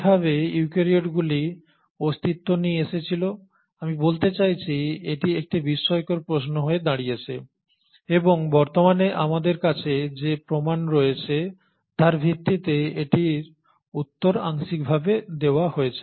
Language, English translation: Bengali, So how is it that the eukaryotes came into existence, I mean this has been a puzzling question and it is partially answered by the available evidences that we have today